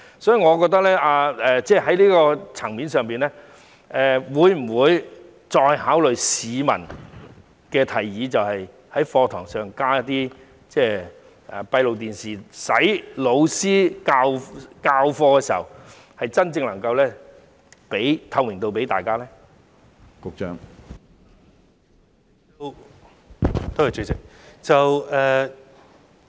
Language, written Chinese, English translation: Cantonese, 所以，在這個層面上，當局會否再考慮市民的提議，在課室內加裝閉路電視，令教師授課時，真正能夠為大家提供透明度呢？, So in this connection will the authorities reconsider the suggestion of the public to install closed - circuit television CCTV cameras in classrooms so that teachers can really provide transparency when they are teaching?